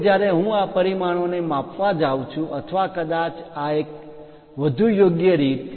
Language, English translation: Gujarati, Now, when I am going to measure these dimension or perhaps this one in a more appropriate way